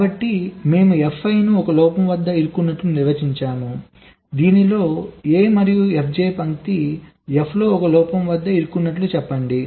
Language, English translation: Telugu, so we define f i as stuck at one fault in, lets say, line a and f j as stuck at one fault in f